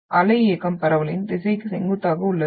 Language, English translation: Tamil, Motion is perpendicular to the direction of wave propagation